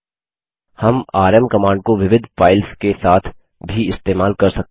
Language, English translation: Hindi, We can use the rm command with multiple files as well